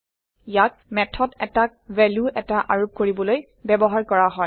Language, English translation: Assamese, It is used to assign a value to a method